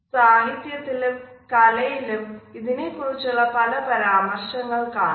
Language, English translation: Malayalam, In literature and in arts there have been in numerous references to it